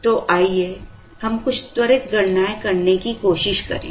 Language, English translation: Hindi, So, let us try and do some quick computations